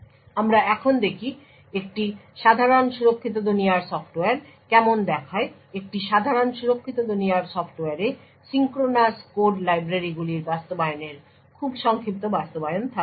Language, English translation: Bengali, We now look at how a typical secure world software looks like, a typical secure world software would have implementations of very minimalistic implementations of synchronous code libraries